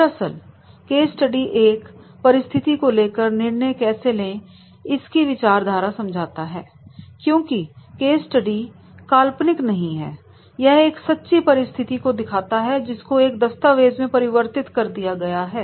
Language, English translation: Hindi, Actually the case study gives the idea in a given situation what decisions have been taken because the case study is not hypothetical, case study is the practical situation which has been converted into a in a document